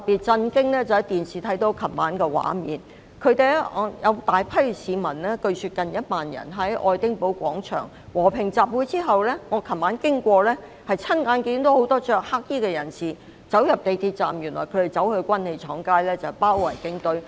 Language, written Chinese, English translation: Cantonese, 昨晚從電視看到的畫面令我很震驚，據說有近萬名市民在愛丁堡廣場和平集會，而我昨晚途經時親眼看到很多穿黑衣的人士進入港鐵站，原來他們要到軍器廠街包圍警察總部。, Yesterday evening I was shocked by the images on television . While passing by Edinburgh Place where a peaceful public meeting reportedly joined by close to 10 000 people was held I saw with my own eyes many people clad in black entering the MTR station . It turned out that they were heading for Arsenal Street to besiege the Police Headquarters